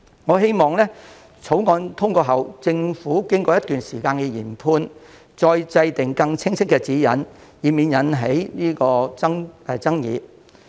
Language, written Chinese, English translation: Cantonese, 我希望在《條例草案》通過後，政府經過一段時間的研判，再制訂更加清晰的指引，以免引起爭議。, It is my hope that after the passage of the Bill the Government will formulate a set of new guidelines that provide greater clarity after a period of assessment and examination to avoid disputes